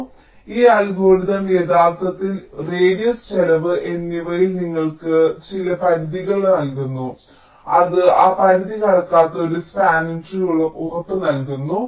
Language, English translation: Malayalam, so this algorithm actually gives you some bounds on radius and cost and it guarantees a spanning tree which will not cross that bound